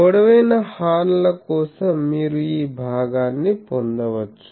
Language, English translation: Telugu, For long horns you can get because this part is ok